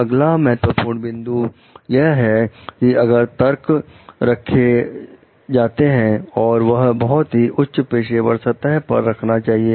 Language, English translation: Hindi, Next important point is the argument should be kept on a very high professional plane